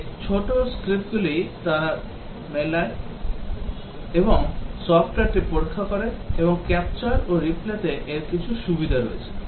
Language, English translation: Bengali, These small scripts they run and test the software, and these have some advantages over the capture and replay